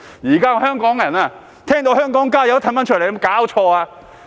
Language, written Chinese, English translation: Cantonese, 現在的香港人聽到"香港加油"也退出來，有沒有搞錯？, Now Hongkongers retreat when they hear Add oil Hong Kong . How come?